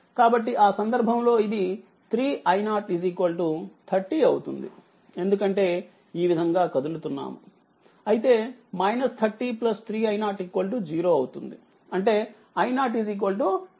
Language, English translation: Telugu, So, in that case it will become 3 i 0 is equal to 30 because if you move like this it is minus 30 plus 3 i 0 is equal to 0 right that means, my i 0 is equal to say 10 ampere right